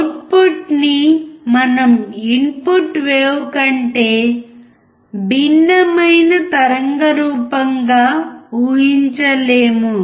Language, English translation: Telugu, We cannot expect the output to be a different waveform than the input wave